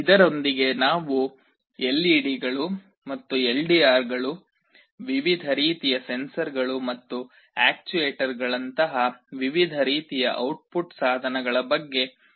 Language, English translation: Kannada, With this we come to the end of our discussion on various kinds of output devices like LEDs and LDRs, various kind of sensors and actuators